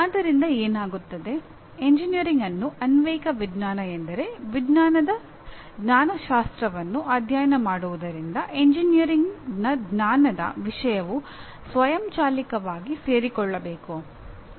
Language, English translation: Kannada, So what happens is if this is the view of engineering, if engineering is applied science then studying the epistemology of science should automatically subsume the knowledge content of engineering